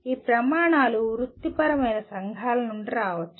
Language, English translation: Telugu, These standards may come from the professional societies